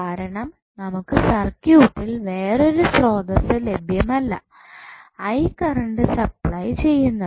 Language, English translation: Malayalam, Because there is no any other source available in the circuit, which can supply current I